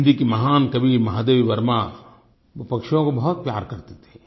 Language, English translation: Hindi, The great Hindi poetess Mahadevi Verma used to love birds